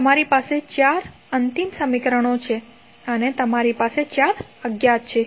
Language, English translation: Gujarati, So, you have four final equations and you have four unknowns